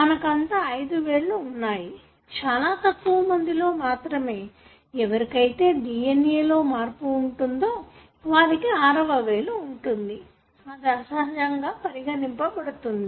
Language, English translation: Telugu, All of us have got five fingers; very few, those who have some changes in their DNA may have the sixth finger